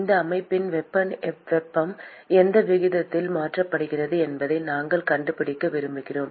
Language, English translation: Tamil, We want to find out what is the rate at which heat is being transferred for this system